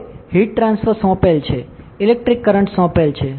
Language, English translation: Gujarati, Now, heat transfer is assigned electric current is assign